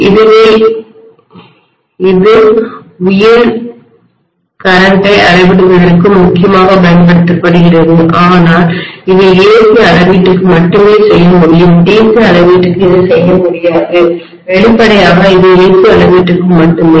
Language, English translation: Tamil, So this is essentially use for measuring high current but obviously this can be done only for AC measurement it cannot be done for DC measurement obviously it is only for A/C measurement